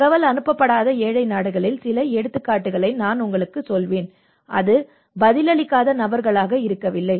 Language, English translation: Tamil, I will tell you some examples in the poorer countries where the information has not been passed, and it has not been people who have not responded